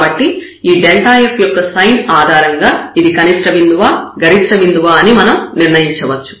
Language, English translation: Telugu, So, based on the sign of this delta f, we can decide whether this is a point of maximum point of minimum